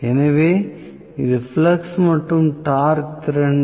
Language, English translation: Tamil, So, this is flux as well as torque capability